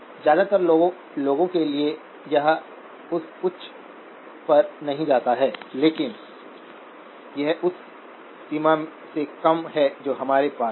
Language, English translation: Hindi, For most people, it does not go that high but that is more of less the range that we have